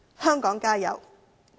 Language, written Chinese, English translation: Cantonese, 香港加油！, Fight on Hong Kong!